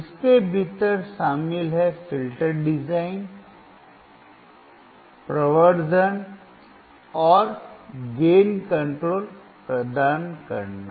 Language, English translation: Hindi, Included within it is filter design, providing amplification and gain control